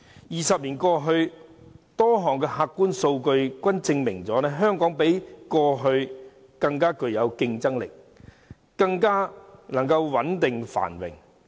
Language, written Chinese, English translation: Cantonese, 二十年過去，多項客觀數據均證明香港較過去更具競爭力，更加穩定繁榮。, Twenty years on Hong Kong has become more competitive more stable and more prosperous and this fact is well borne out by objective data and statistics